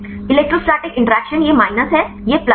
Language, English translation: Hindi, Electrostatic interaction this is minus, this is plus